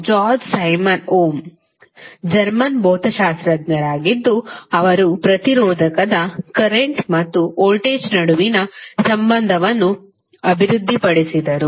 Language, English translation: Kannada, George Simon Ohm was the German physicist who developed the relationship between current and voltage for a resistor